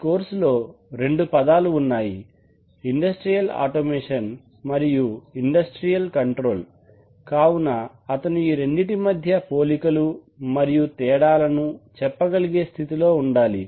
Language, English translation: Telugu, This course has two terms industrial automation and industrial control so he will be able to understand what are the similarities and differences between these two terms